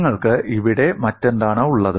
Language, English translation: Malayalam, And what other things that you have here